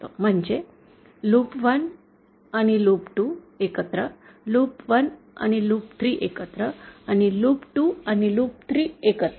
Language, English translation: Marathi, That is loops 1 and loop 2 together, loops 1 loop 3 together and loop 2 loop 3 together